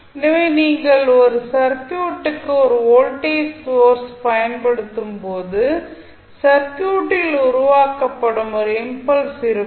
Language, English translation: Tamil, So, when you apply a voltage source to a circuit there would be a sudden impulse which would be generated in the circuit